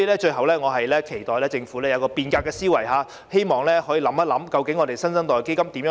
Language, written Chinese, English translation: Cantonese, 最後，我期待政府有變革的思維，亦希望當局好好考慮如何運作"新生代基金"。, Lastly I hope that the Government will have a revolutionary mindset and make careful plans for the operation of the New Generation Fund